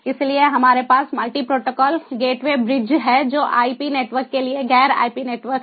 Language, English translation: Hindi, so we have muliti protocol gateway bridges, ah, the non ip network to ip network